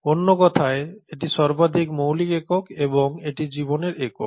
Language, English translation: Bengali, Ó So in other words it is the most fundamental unit and it is the unit of life